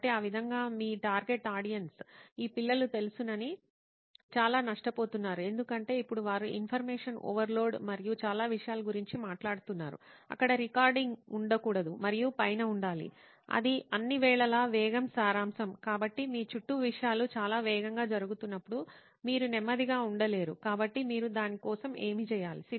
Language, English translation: Telugu, So in that way do you think that your target audience of you know these kids are they losing out on you know because now they are talking about information overload and so much of a stuff, should not there be recording all that and be on top of it all the time because speed is the essence, you cannot be slow when things are going so fast around you, so what is your take on that